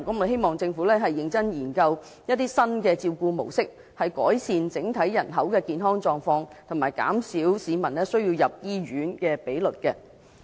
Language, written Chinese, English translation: Cantonese, 希望政府認真研究新照顧模式，改善整體人口的健康狀況及減少市民入院的比率。, It is hoped that the Government will carefully study new care models in order to improve the general health of the people and reduce the hospital admission rate